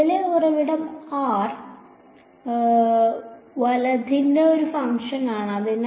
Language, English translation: Malayalam, Current source is a function of r right